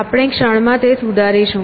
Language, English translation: Gujarati, We will refine that in the moment